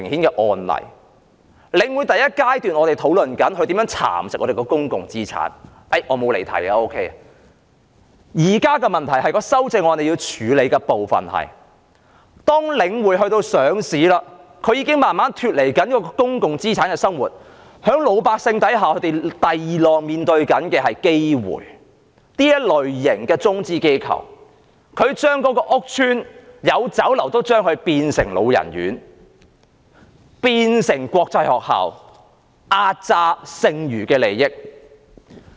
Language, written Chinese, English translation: Cantonese, 在第一階段，我們討論領匯如何蠶食香港的公共資產——我並沒有離題——現在的問題是，當領匯上市後，已經逐漸脫離公共資產的運作模式，而老百姓正面對第二浪的危機，即中資機構會將屋邨中的酒樓變為安老院和國際學校，壓榨剩餘的利益。, At the first stage we discussed how The Link nibbled away at public assets of Hong Kong―I have not digressed from the subject―the current problem is that after listing The Link has gradually deviated from the operational mode of a public asset . The general public are now confronted with risks of the second wave ie . Chinese enterprises will turn Chinese restaurants in housing estates into homes for the elderly and international schools squeezing as much money as they can from the people